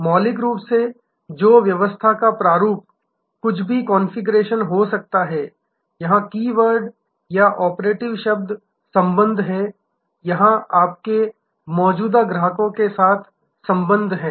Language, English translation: Hindi, Fundamentally in whatever maybe the configuration, the keyword here or operative word here is relationship, relationship with your existing customers